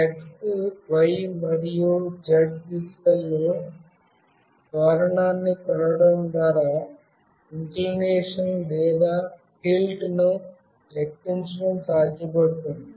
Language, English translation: Telugu, This can be done by measuring the acceleration along the x, y and z directions